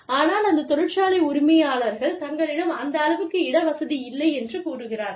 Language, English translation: Tamil, And, the factory owners say, well, we do not have enough land